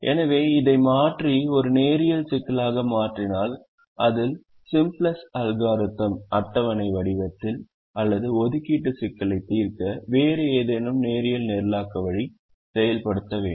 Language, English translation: Tamil, so if we replace this and make it a linear problem, then we can use either the simplex algorithm in its tabular form or any other linear programming way to solve the assignment problem